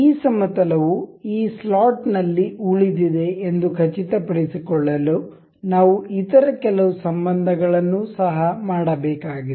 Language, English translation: Kannada, To make sure this plane remains in the this slot we need to make some other relation as well